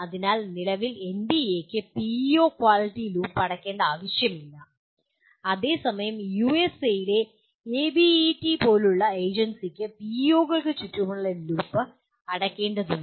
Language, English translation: Malayalam, So at present NBA does not require closure of the PEO quality loop while an agency like ABET in USA will also require the closure of the loop around PEOs